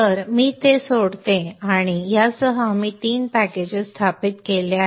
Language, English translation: Marathi, So let me quit that and with this we have installed three packages